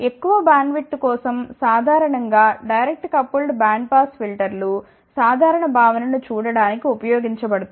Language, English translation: Telugu, For larger bandwidth generally direct coupled band pass filters are use and again to look at the simple concept